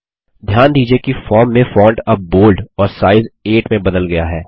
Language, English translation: Hindi, Notice that the font has changed to Bold and size 8 across the form now